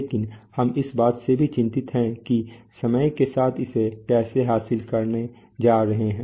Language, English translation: Hindi, But we are also concerned with how it, how it is going to achieve that over time